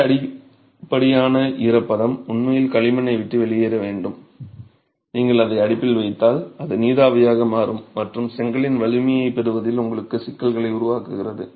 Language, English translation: Tamil, So, this excess moisture actually needs to leave the clay otherwise if you put it right into the oven, that's going to become steam and create problems for you in the strength gain of the brick itself